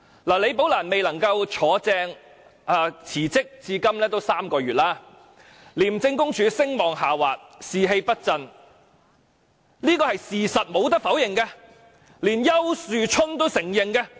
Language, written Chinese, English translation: Cantonese, 李寶蘭未能順利晉升並辭職至今已有3個月，廉署聲望下滑，士氣不振，這是無可否認的事實，連丘樹春都承認。, It has been three months since Rebecca LI resigned after she was not successfully promoted . The incident has tarnished the reputation of ICAC and its staff morale has been adversely affected . These are undeniable facts that even Ricky YAU has to admit